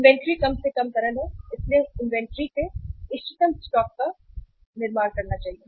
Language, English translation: Hindi, Inventory is the least liquid so we should build up the optimum stock of inventory